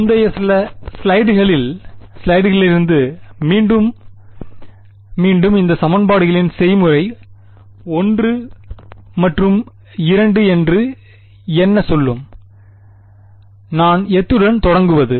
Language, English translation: Tamil, Again repeating from previous few slides, what would be the recipe of these equations say 1 and 2, what do I start with